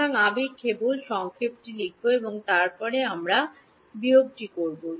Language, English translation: Bengali, So, I will just write out the summation and then we will do the subtraction